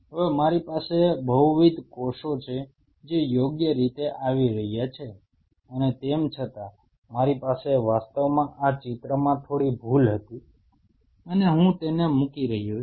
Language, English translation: Gujarati, Now, I have multiple cells which are coming through right and yet I have actually this drawing was a slight mistake and I am just putting it